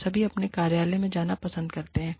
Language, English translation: Hindi, We all love, going to our offices